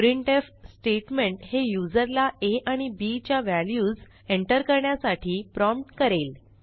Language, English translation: Marathi, This printf statement prompts the user to enter the values of a and b